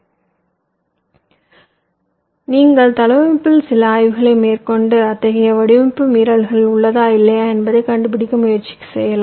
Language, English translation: Tamil, so you can have some inspection in the layout and try to find out whether such design violations do exists or not